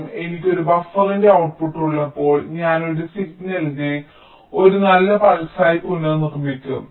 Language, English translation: Malayalam, so instead of a neat pulse, so when i have a buffer, the output of a buffer i will again regenerate this signal into a nice pulse